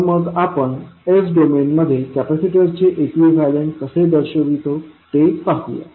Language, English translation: Marathi, So, let us see how we will represent the equivalents of capacitor in s domain